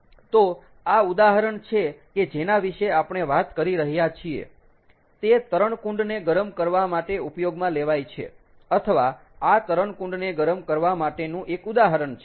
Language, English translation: Gujarati, ok, so this, the example that we are talking about, is used for heating the swimming pool, or this is one example of heating a swimming pool